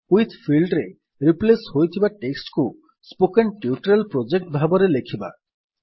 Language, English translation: Odia, In the With field we type the replaced text as Spoken Tutorial Project